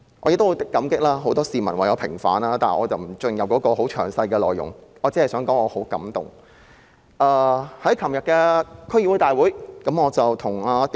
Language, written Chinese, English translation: Cantonese, 我也十分感激很多市民為我平反，但我不會詳細闡述，我只是想說我十分感動。, I am also very grateful to many members of the public who have sought vindication for me . I will not go into the details here but I just want to say that I am deeply touched